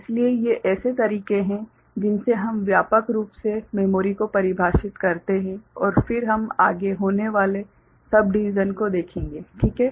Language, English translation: Hindi, So, these are the ways we broadly define memory and then we shall see further subdivisions going forward, ok